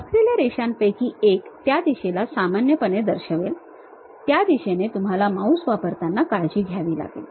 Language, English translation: Marathi, One of the line is is going to show it in normal to that direction you have to be careful in using mouse